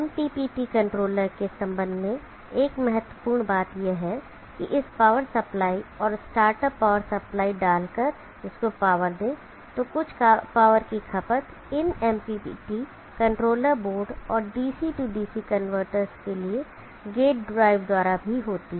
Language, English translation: Hindi, One important point to be noted with respect to the MPPT controller is that by putting this power supply and the start a power supply to power of this, there is some power which is consumed by these MPPT controller board and also the gate drive for the DC DC converters